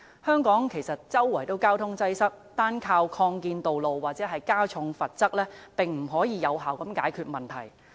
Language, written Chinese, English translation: Cantonese, 香港到處也有交通擠塞，單單依靠擴建道路或加重罰則，是無法有效解決問題的。, Since traffic congestion problems are found everywhere in Hong Kong they cannot possibly be resolved effectively by the sole reliance on expanding roads or imposing heavier penalties